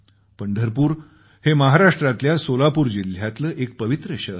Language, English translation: Marathi, Pandharpur is a holy town in Solapur district in Maharashtra